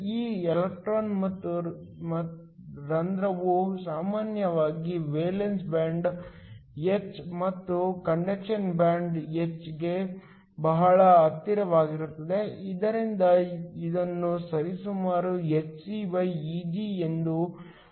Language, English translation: Kannada, This electron and hole is usually very close to the valence band h and the conduction band h, so that this can be written approximately as hcEg